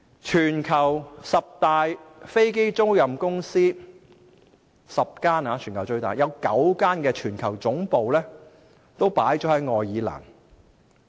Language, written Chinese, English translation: Cantonese, 全球十大飛機出租公司，有9間的全球總部都設於愛爾蘭。, Nine out of the ten largest aircraft leasing companies worldwide locate their global headquarters in Ireland